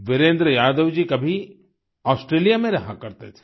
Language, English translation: Hindi, Sometime ago, Virendra Yadav ji used to live in Australia